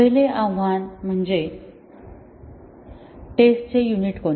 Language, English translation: Marathi, The first challenge is that what is the unit of testing